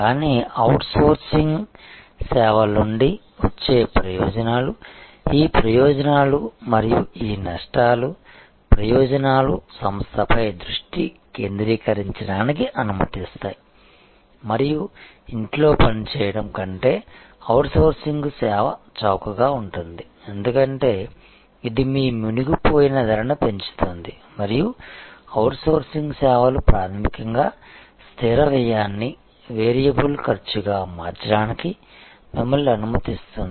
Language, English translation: Telugu, But, in that the advantages that are coming from outsourcing services are these benefits and these risks; the benefits are allows the firm to focus on it is core competence and service is cheaper to outsource than perform in house, because that raises your sunk cost and outsourcing services fundamentally allows you to convert fixed cost to variable cost